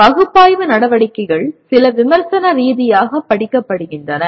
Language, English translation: Tamil, Now some of the analyze activities are reading critically